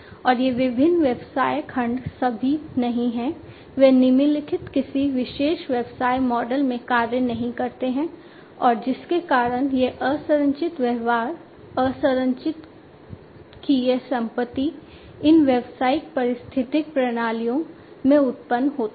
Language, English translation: Hindi, And these different business segments are not all, they do not all function in the following a particular business model and because of which this unstructured behavior, this property of unstructuredness, this arises in these business ecosystems